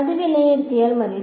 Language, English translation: Malayalam, Just evaluate it